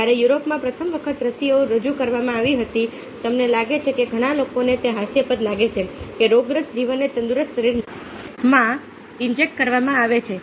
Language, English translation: Gujarati, when vaccines where first introduced in a europe, you find that many people founded ridicules that deceased organism is being injected in to a healthy body